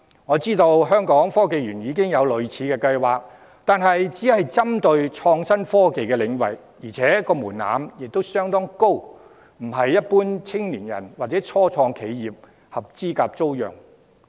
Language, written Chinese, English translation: Cantonese, 我知道香港科技園公司已有類似計劃，但都是針對創新科技領域，而且門檻高，非一般青年人或初創企業能合資格租用。, I know that the Hong Kong Science and Technology Parks Corporation has a similar scheme in place but it only targets talents in the IT sector and the threshold is high making it impossible for ordinary young people or start - up enterprises to become eligible tenants